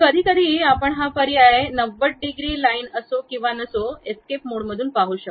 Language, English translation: Marathi, We can see sometimes we can see this option also whether it is 90 degrees line or not, escape mode